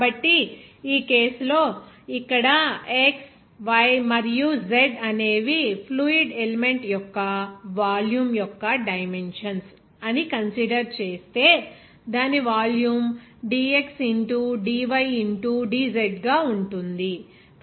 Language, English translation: Telugu, So, in this case if we consider that a fluid element of volume of dimensions like here x, y and z and its volume will be as you know dx into dy into dz